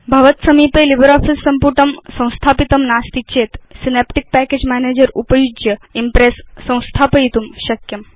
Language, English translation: Sanskrit, If you do not have LibreOffice Suite installed, Impress can be installed by using Synaptic Package Manager